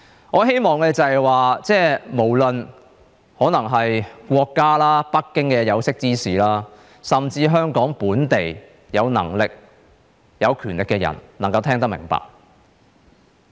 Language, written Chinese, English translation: Cantonese, 我希望，無論國家、北京的有識之士，甚至香港本地有能力、有權力的人能夠聽得明白。, I hope that those with breadth of vision in our country or in Beijing or those with ability and power in Hong Kong can understand what I mean